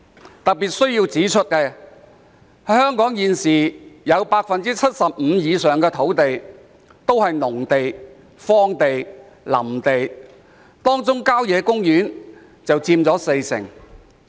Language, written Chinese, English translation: Cantonese, 我特別希望指出，香港現時有 75% 以上的土地是農地、荒地或林地，當中郊野公園佔全港土地面積約四成。, In particular I would like to point out that over 75 % of the land in Hong Kong is agricultural land barren land or woodland with country parks accounting for about 40 % of the total land area of Hong Kong